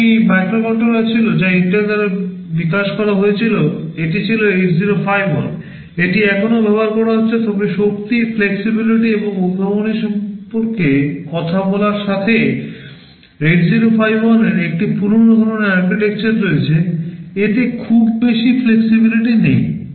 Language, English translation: Bengali, There was one microcontroller which was developed by Intel, it was 8051, it is still being used, but talking about the power, flexibility and innovativeness, 8051 has an old kind of an architecture, it does not have too much flexibility